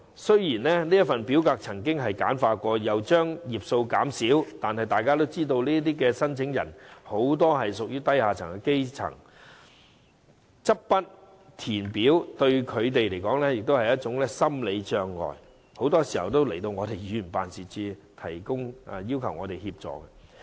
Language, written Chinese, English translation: Cantonese, 雖然這份表格已經簡化，頁數亦已減少，但大家也知道，這些申請人多屬低下階層，執筆填表，對他們來說是一種心理障礙，他們很多時候也會到議員辦事處求助。, Though the forms have been simplified and the number of pages has been reduced it may be a psychological barrier to them in picking up the pen to fill in the forms as we know these applicants are mostly grass roots . More often than not they will come to Members offices to seek assistance